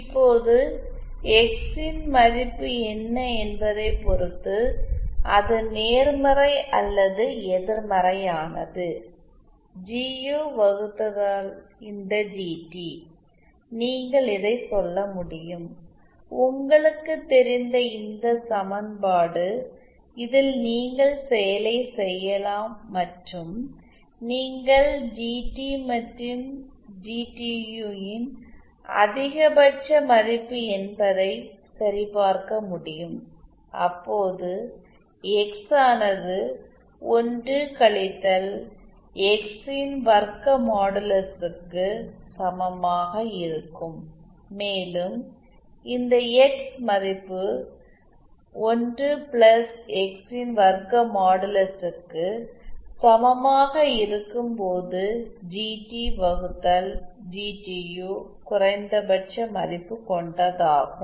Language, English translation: Tamil, Now depending on what value of X is whether it is positive or negative, we can say that this GT upon GU, this equation you know you can work it out you can see that it is really and can verify that it is true the maximum value of this GT and GTU will be when x is when this is equal to 1 minus modulus of x square, and the minimum of value of GT upon GTU will happen when this value becomes equal to 1 plus modulus of X square